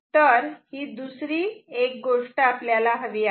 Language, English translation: Marathi, So, this is next thing what we want